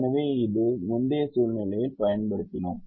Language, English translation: Tamil, so we have used this in ah in an earlier situation